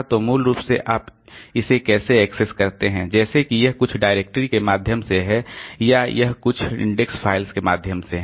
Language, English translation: Hindi, So, access basically how do you access it like whether it is by means of some directory or it is by means of some index files like that